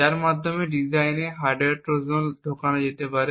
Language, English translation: Bengali, So, it is in this region that a hardware Trojan is likely to be present